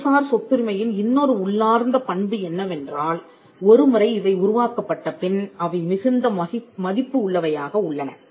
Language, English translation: Tamil, Another trait or something inherent in the nature of intellectual property right is that, these rights once they are created, they are valuable